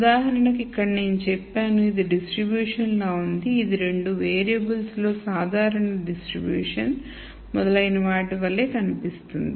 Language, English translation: Telugu, So, for example, here I could say this looks like a distribution; it looks like a normal distribution, in the two variables and so on